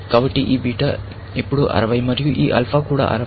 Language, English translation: Telugu, So, this beta is 60, now, and this alpha is also 60